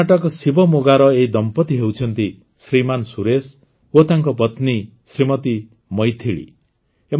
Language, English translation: Odia, This is a couple from Shivamogga in Karnataka Shriman Suresh and his wife Shrimati Maithili